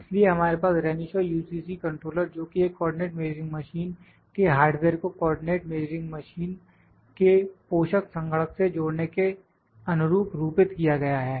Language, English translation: Hindi, So, we have Renishaw UCC controller which is designed to link the hardware of a co ordinate measuring machine to the co ordinate measuring machine host computer